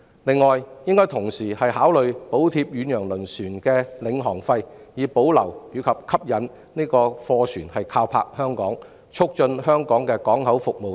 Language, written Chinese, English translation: Cantonese, 此外，政府應同時考慮補貼遠洋輪船的領航費以保持和吸引貨船靠泊香港，以及促進香港的港口服務等。, Moreover the Government should also consider subsidizing the pilotage dues of ocean - going vessels with a view to retaining and attracting cargo vessels in berthing at Hong Kong and promoting Hong Kongs port services among others